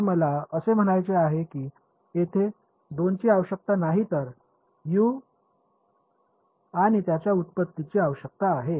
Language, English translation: Marathi, So, I mean there are not two requirements this is requirement on U and its derivative